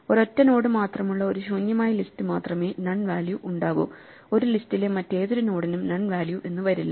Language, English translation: Malayalam, So, notice that unless we have an empty list with a single node none, none no other node in a list can have value none, right